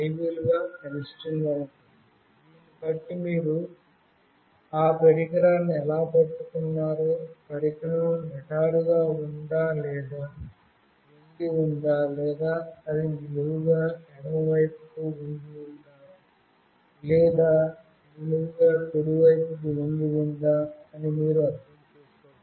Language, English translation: Telugu, Depending on this you will be able to actually understand how you are holding the device, whether the device is straight or it is tilted, or it is vertically tilted to the left, or it is vertically tilted to the right